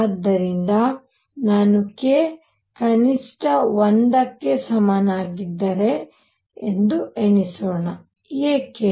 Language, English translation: Kannada, So, let us now enumerate if I have k minimum was equal to 1, why